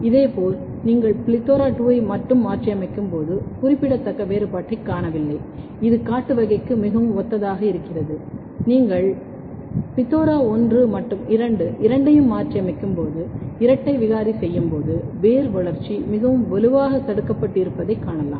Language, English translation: Tamil, Similarly, when you mutate plethora2 alone, you do not see a significant difference it is quite similar to the wild type, but when you make a double mutant when you mutate both plethora1 as well as plethora2, you can see that root growth is very strongly inhibited